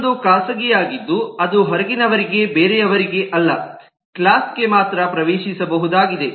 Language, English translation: Kannada, another is a private one which is accessible only to the class itself, not to the outsiders, not to anyone else